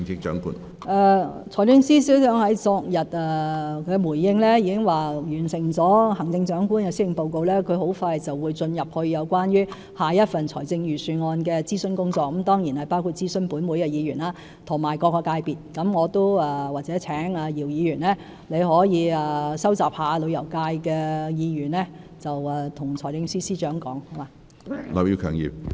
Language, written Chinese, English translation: Cantonese, 財政司司長昨天在回應時已表示，在完成了行政長官的施政報告，他很快便會投入有關下一份財政預算案的諮詢工作，這當然包括諮詢立法會議員及各個界別，或許我請姚議員收集旅遊界的意見，向財政司司長反映。, As indicated by the Financial Secretary in his response yesterday after the release of the Chief Executives Policy Address he will soon be engaged in the consultation on the next Budget which will certainly include consulting Legislative Council Members and various sectors . Perhaps I can ask Mr YIU to collect the views of the tourism industry and convey them to the Financial Secretary